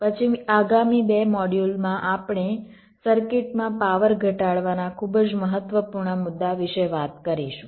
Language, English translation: Gujarati, then in the next two modules we shall be talking about the very important issue of reduction of power in circuits